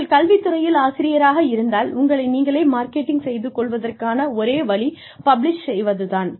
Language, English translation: Tamil, If you are in academics, one way of marketing yourself is, by publishing